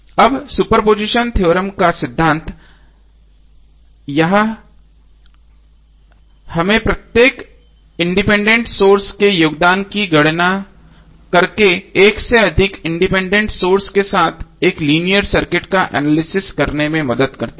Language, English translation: Hindi, Now this principle of super position theorem helps us to analyze a linear circuit with more than one independent source by calculating the contribution of each independent source separately